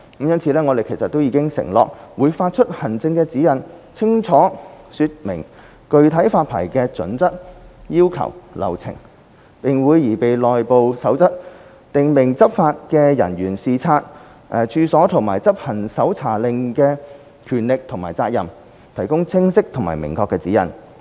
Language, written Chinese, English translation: Cantonese, 因此，我們已承諾會發出行政指引，清楚說明具體發牌準則、要求和流程；並會擬備內部守則，訂明執法人員視察處所和執行搜查令時的權力和責任，提供清晰和明確的指引。, Hence we have undertaken to issue administrative guidelines to expressly set out the specific licensing criteria requirements and procedures . We will also prepare an internal code of practice stipulating the powers and responsibilities of enforcement officers in conducting inspections of the premises and performing duties with search warrants with the provision of a set of clear and specific guidelines